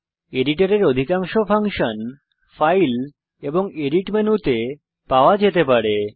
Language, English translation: Bengali, Most of the functions of the editor can be found in the File and Edit menus